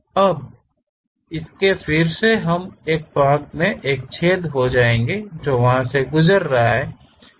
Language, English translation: Hindi, Now, its again we will be having a hole passing all the way there